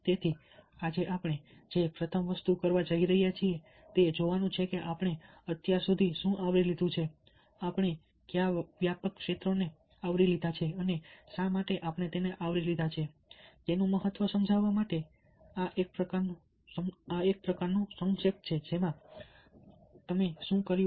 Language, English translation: Gujarati, so the first thing that we are going to do today is look at what we have covered so far, which are the broad areas that we have covered and why have we covered them, a kind of a de capitulation in order to understand this significance of what we have done